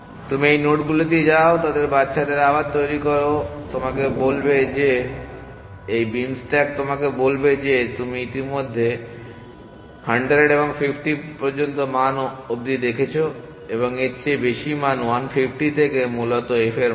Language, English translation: Bengali, So, you go to these nodes, generate their children again, so again which of those children do you want to now explode, this beam stack will tell you that you have already seen values up to 100 and 50 and look at value which are greater than 1 50 essentially f values